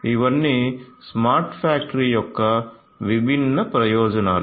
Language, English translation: Telugu, So, all of these are different different benefits of a smart factory